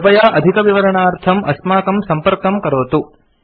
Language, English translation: Sanskrit, Please contact us for more details